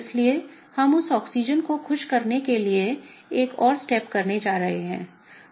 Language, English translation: Hindi, So, what we are going to do is, we are gonna do one more step to make that Oxygen happy